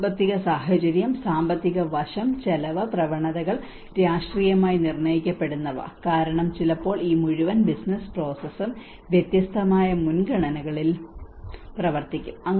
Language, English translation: Malayalam, And the economic context, the financial aspect, the expenditure trends, the politically which are politically determined because sometimes this whole business process will works in a different priorities